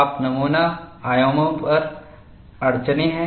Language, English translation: Hindi, You have constraints on specimen dimensions